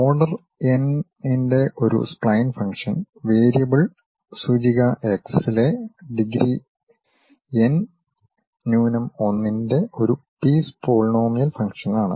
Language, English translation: Malayalam, A spline function of order n is a piecewise polynomial function of degree n minus 1 in a variable index x